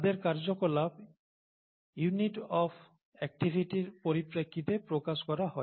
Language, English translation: Bengali, Their activity is expressed in terms of units of activity, right